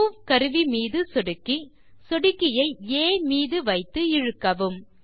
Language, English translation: Tamil, Click on the Move tool, place the mouse pointer on A and drag it with the mouse